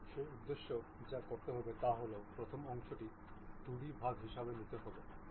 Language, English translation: Bengali, For that purpose what I have to do is the first always the first part is a 2D one